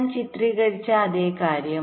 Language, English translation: Malayalam, the same thing as i have illustrated